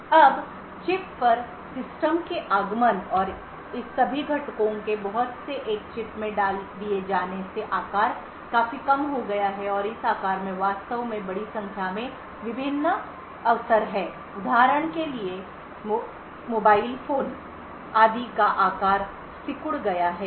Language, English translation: Hindi, Now with the advent of the System on Chip and lot of all of this components put into a single chip the size has reduced considerably and this size actually cost a large number of different opportunities for example the size of mobile phones etc